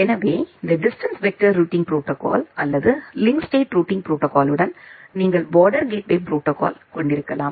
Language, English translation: Tamil, So, with the along with this distance vector or link state routing protocol you can also have border gateway protocol